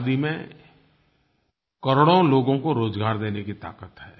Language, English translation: Hindi, Khadi has the potential to provide employment to millions